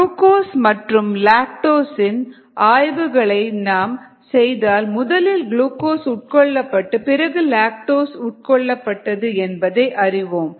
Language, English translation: Tamil, and when you do the analysis of glucose and lactose, one finds that glucose gets consumed here first and then lactose gets consumed